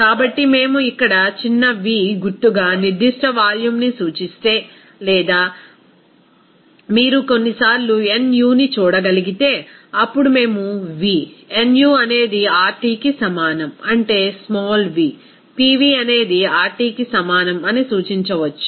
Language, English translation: Telugu, So, if we represent that a specific volume as symbol here small v or you can see sometimes nu, then we can represent that v, nu is equal to RT, that is a small v, Pv is equal to RT